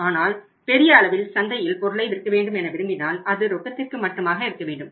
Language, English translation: Tamil, But largely if you want to sell on your product in the market it has to be on cash or it is on the cash